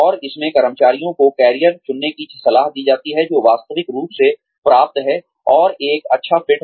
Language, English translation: Hindi, And, in this, the employees are advised to choose careers, that are realistically obtainable, and a good fit